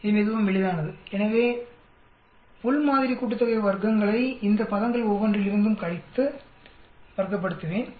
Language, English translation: Tamil, It is quite simple so within sample sum of squares I will subtract from each one of these terms here, and then square it up